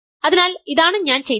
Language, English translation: Malayalam, So, what I have done is